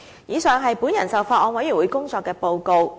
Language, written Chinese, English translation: Cantonese, 以上是我就法案委員會工作作出的報告。, The foregoing is my report on the work of the Bills Committee